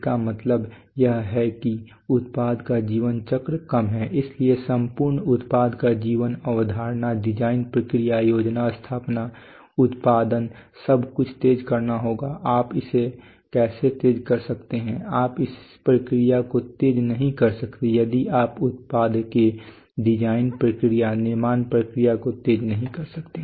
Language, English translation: Hindi, It means that product lifecycle is in product lifetime is less so the whole product lifecycle of conception design process planning installation production everything will have to be accelerated how can you accelerate it you cannot accelerate it you cannot make new and new designs very fast you cannot produce them fast without having without having manufacturing systems